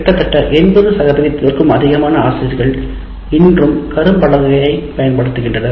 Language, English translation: Tamil, And fairly more than 80% of the faculty today are still using blackboard